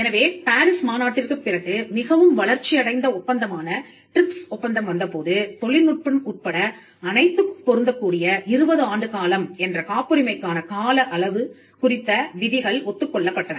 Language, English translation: Tamil, So, when the TRIPS agreement which is a much evolved agreement came after the PARIS convention, we had provisions on the term of the patent the 20 year term for all patents across technology was agreed upon